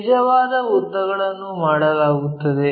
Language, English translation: Kannada, True lengths are done